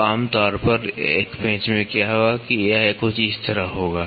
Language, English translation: Hindi, So, what will happen generally in a screw that it will be something like this